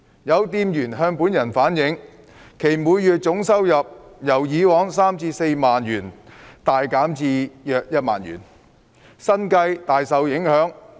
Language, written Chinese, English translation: Cantonese, 有店員向本人反映，其每月總收入由以往的三、四萬元大減至約一萬元，生計大受影響。, Some shopkeepers have relayed to me that their total monthly income has reduced significantly from 30,000 to 40,000 in the past to around 10,000 which has gravely affected their livelihood